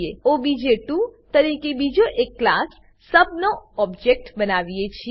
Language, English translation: Gujarati, Then we create another object of class sub as obj2